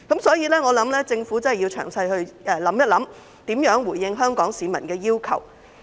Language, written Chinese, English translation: Cantonese, 所以，我希望政府會詳細考慮如何回應香港市民的要求。, Thus I hope that the Government will carefully consider how to respond to the demands of Hong Kong people